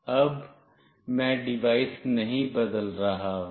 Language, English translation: Hindi, Now, I am not changing the device